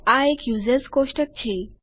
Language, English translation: Gujarati, This is the users table